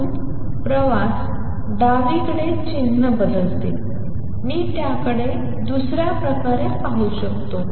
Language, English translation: Marathi, So, travels to the left the sign changes, I can look at it another way